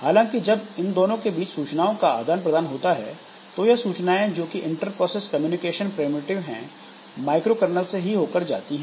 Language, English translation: Hindi, However the messages when you try to send messages between this subsystems so that message is communicated via this inter process communication primitives so that goes to this microcarnel